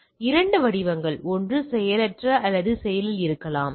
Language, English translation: Tamil, So, two form, one maybe a passive or active